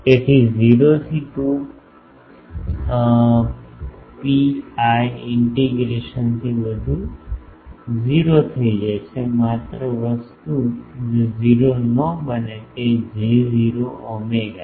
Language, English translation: Gujarati, So, everything from 0 to 2 pi integration that becomes 0; only the thing is who does not become 0 is J0 omega